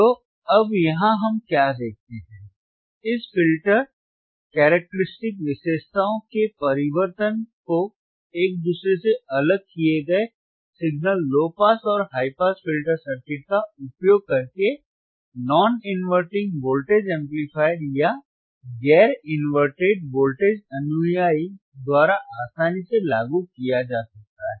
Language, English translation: Hindi, Tthe transformation of this filter the transformation of these filter characteristics can be easily implemented using a single low pass and high pass filter circuits isolated from each other by non inverting voltage amplifier or non inverted voltage follower